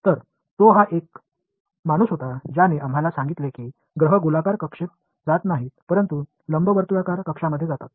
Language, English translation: Marathi, So, he was the guy who told us that planets move not in circular orbit, but elliptical orbits